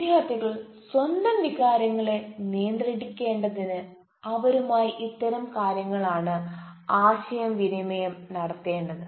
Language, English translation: Malayalam, so these are certain things that needs to be communicated to the students to take control of their own emotions